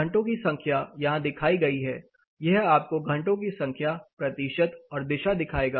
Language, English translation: Hindi, Number of hours is shown here, how many number of hours percentages from which direction it will show you